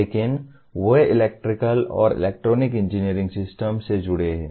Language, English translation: Hindi, But they are involved with electrical and electronic engineering systems